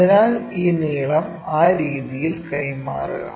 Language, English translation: Malayalam, So, transfer this length in that way